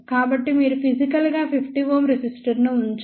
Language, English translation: Telugu, So, you do not physically put any 50 ohm resistor